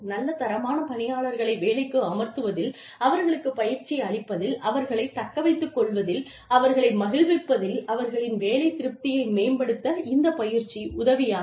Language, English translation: Tamil, It helps us justify, why we are investing so much money, in hiring good quality employees, in training them, in retaining them, in making them happy, in helping them improve their job satisfaction